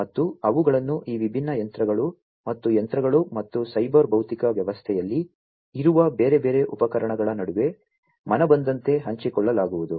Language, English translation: Kannada, And they are going to be shared, seamlessly between these different machines and machines, and the different other instruments, that are there in the cyber physical system